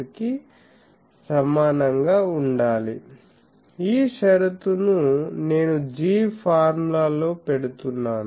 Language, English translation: Telugu, This condition I am putting in the G formula